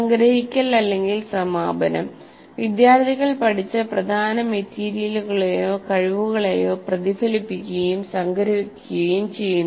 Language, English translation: Malayalam, Summarizing or closure, students reflect on and summarize the important material or skills learned